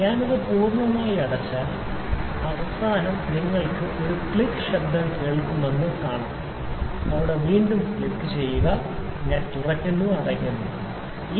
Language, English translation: Malayalam, So, if I close it completely you can see that when I close it completely, at the end you will see you will listen to a click noise see there click again I open, again I close click